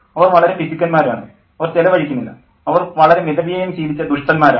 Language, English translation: Malayalam, They are very stingy, they don't spend, they are very thrifty